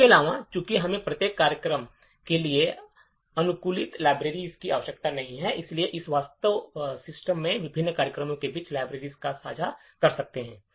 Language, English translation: Hindi, Further, since we do not require customized libraries for each program, we can actually share the libraries between various programs in the system